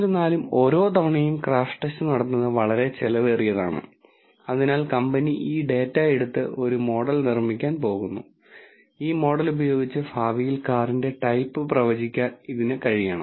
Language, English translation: Malayalam, However, since the crash test is very expensive to perform every time, so the company is going to take this data build a model and with this model it should be able to predict the type of the car in future